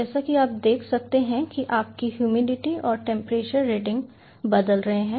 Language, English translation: Hindi, as you can see, your humidity and temperature readings are changing